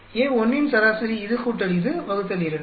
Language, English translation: Tamil, Average of A1, this plus this by 2